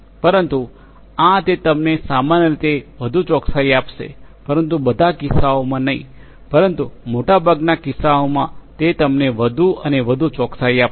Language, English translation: Gujarati, The, but it is going to give you more accuracy in general, but not in all cases, but in most cases it is going to give you more and more accuracy